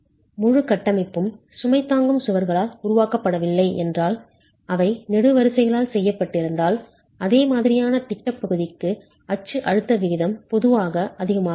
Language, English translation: Tamil, If the entire structure were not made out of load bearing walls were made out of columns, the axial stress ratio will typically be higher for a similar plan area